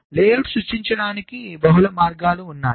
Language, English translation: Telugu, so there are multiple ways of creating the layout